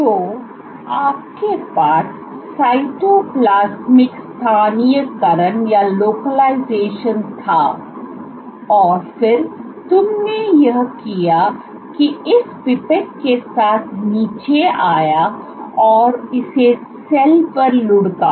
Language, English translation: Hindi, So, you had cytoplasmic localization, and then what you did you came down with this pipette and rolled it on the cell